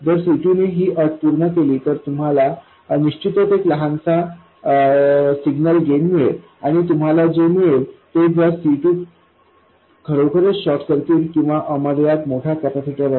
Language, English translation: Marathi, If C2 satisfies this constraint, then you will get a certain small signal gain and it will be very close to what you would have got if C2 were really a short circuit or it is an infinitely large capacitor